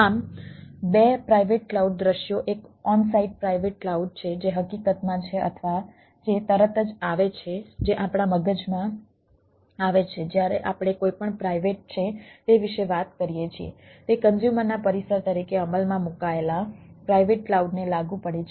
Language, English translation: Gujarati, one is on site private cloud, which is which is the de facto or which is immediately come to, which comes to our mind when we are talking about anything which is private, applies to private clouds implemented as the customers premises